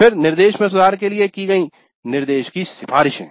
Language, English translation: Hindi, Then recommendations to the instruction to improve the instruction